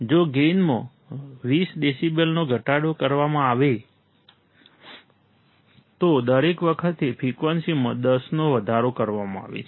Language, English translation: Gujarati, If gain is decreased by 20 decibels, each time the frequency is increased by 10